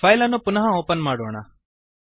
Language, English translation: Kannada, Now lets re open the file